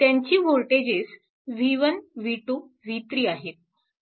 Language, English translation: Marathi, So, this voltage is v 3 right